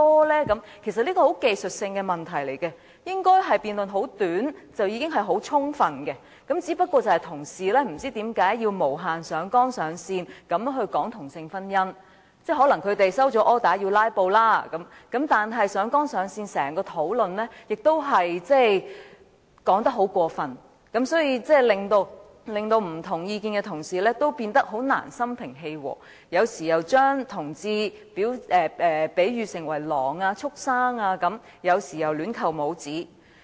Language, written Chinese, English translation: Cantonese, 這其實是很技術性的問題，應該只需短時間的辯論便已很充分，但不知為何同事要無限上綱上線地討論同性婚姻，可能他們收到 order 要"拉布"；但他們在整個討論中上綱上線，說話亦很過分，令持不同意見的同事難以心平氣和，而一些議員有時又把同志比喻為狼或畜牲，有時又亂扣帽子。, However I do not know why colleagues have infinitely exaggerated the issue by discussing same - sex marriage . Perhaps it is because they have been ordered to filibuster . But they have exaggerated the issue in the entire discussion and made over board remarks making it impossible for colleagues who hold different views to remain calm whereas some Members sometimes compared LGBTs to wolves or beasts and sometimes pinned labels on other people arbitrarily